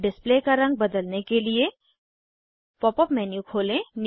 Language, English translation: Hindi, To change the color of display, open the Pop up menu